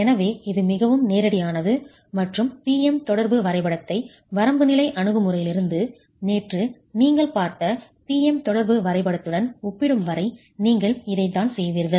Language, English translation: Tamil, So, that is rather straightforward and this is what you would be doing as far as comparing the PM interaction diagram from the limit state approach to the PM interaction diagram that you have seen yesterday